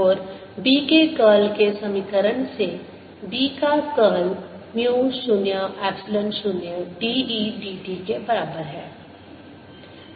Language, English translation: Hindi, we get curl of curl of b is equal to mu zero, epsilon zero, d by d t of curl of e